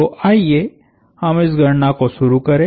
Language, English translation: Hindi, So, let us complete this calculation